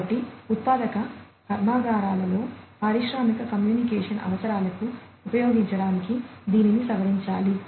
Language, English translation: Telugu, So, it has to be modified in order to be used for the industrial communication requirements in manufacturing plants